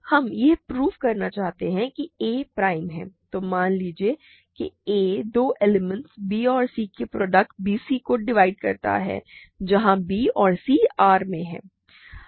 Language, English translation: Hindi, So, we want to prove that a is prime, but if prime means so, suppose that a divides a product of two elements let us say b c, where b and c are in R